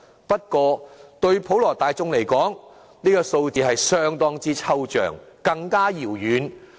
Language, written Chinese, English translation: Cantonese, 不過，對普羅大眾而言，這個數字是相當之抽象，更加遙遠。, For the general public however this figure is far too abstract and utterly out of reach